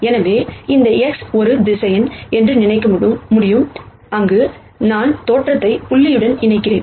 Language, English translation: Tamil, So, I could think of this X as a vector, where I connect origin to the point